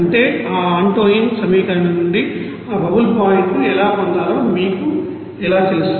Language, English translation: Telugu, That means, how to you know get that you know bubble point from that Antoine's equation